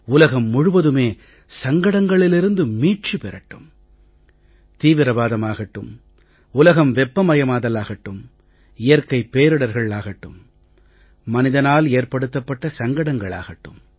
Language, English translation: Tamil, May the world be free of crises, be it from terrorism, from global warming or from natural calamities or manmade tragedies